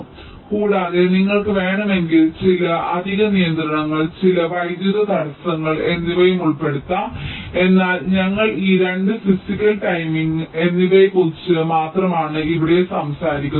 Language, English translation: Malayalam, so in addition, you can also incorporate some additional constraints, some electrical constraints if you want, but we only talk about these two here: physical and timing